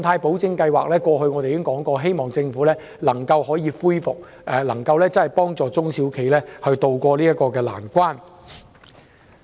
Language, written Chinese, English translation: Cantonese, 我們過去曾指出，希望政府能恢復特別信貸保證計劃，幫助中小企渡過難關。, We have pointed out in the past our hope that the Government would reinstate the Scheme to help SMEs tide over the difficulties